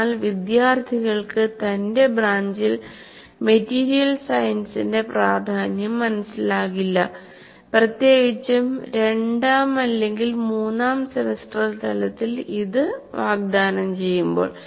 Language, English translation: Malayalam, But the student himself doesn't feel the importance of material science in his branch, especially when it is offered at second or third semester level